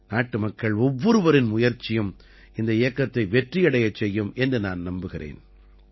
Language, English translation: Tamil, I am sure, the efforts of every countryman will make this campaign successful